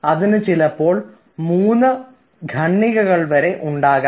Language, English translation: Malayalam, it will have, maybe it can have, three paragraphs in one